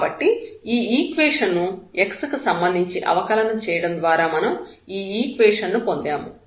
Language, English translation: Telugu, So, we have won this equation out of this equation if we get the derivative with respect to x, if we differentiate this one